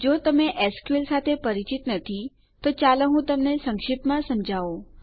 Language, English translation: Gujarati, In case youre not familiar with sql, let me brief you